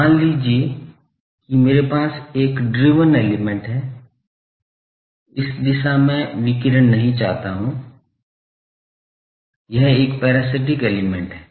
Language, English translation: Hindi, Suppose I have a, this is the driven element, this is a, this direction I do not want radiation, this is a parasitic element